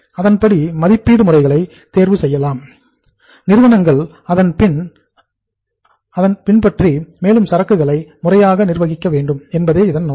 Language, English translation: Tamil, So accordingly the valuation methods are selected, adopted by the firms and ultimately the objective is that the inventory should be properly managed